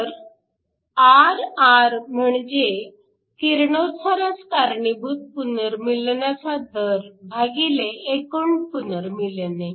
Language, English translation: Marathi, So, Rr, which is the radiative recombination rate divided by the total